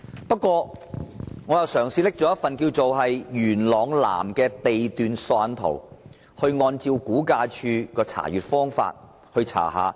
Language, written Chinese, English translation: Cantonese, 不過，我嘗試利用元朗南地段索引圖，按照估價署的方法查看。, I tried to make a search by using the Lot Index Plan of Yuen Long South and adopting RVDs approach